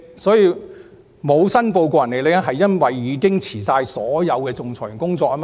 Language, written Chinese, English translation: Cantonese, 所謂沒有申報個人利益，是因為她已經辭去所有仲裁員的工作。, The alleged failure to declare personal interests was due to the fact that she had resigned from all arbitration work